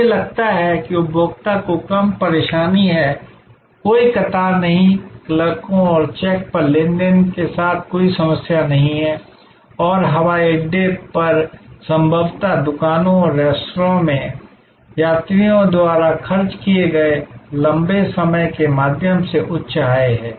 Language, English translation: Hindi, And on the whole, I think the consumer has less hassle, no queues, no problems with transaction with check in clerks and so on and the airport possibly has higher income through the longer time spend by the travelers at the shops and at the restaurants and so on